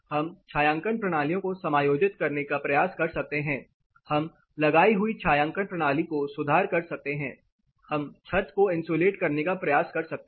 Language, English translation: Hindi, We can try adjusting the shading systems, we can try and enhance the shading system provided or we can try insulating the roof system